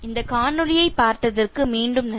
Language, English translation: Tamil, Thank you again for watching this video